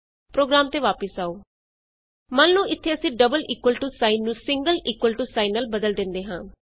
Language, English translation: Punjabi, Come back to the program Suppose here we replace the double equal to sign with the single equal to